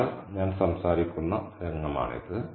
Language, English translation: Malayalam, So, this is the scene that I'm talking about